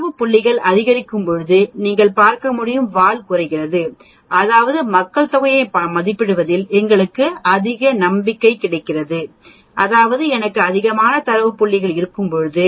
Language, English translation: Tamil, As you can see as the data points increase the tail goes down which means we get more confidence in estimating the population mean when I have more data points